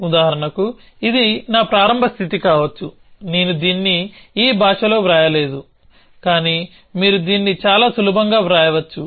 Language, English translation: Telugu, So, for example, this could be my start state, I have not written it in this language, but you can write it quite easily